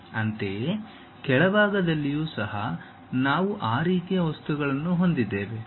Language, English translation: Kannada, Similarly, at bottom also we have that kind of material